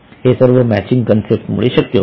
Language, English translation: Marathi, It was because of the matching concept